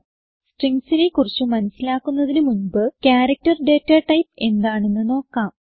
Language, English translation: Malayalam, Before starting with Strings, we will first see the character data type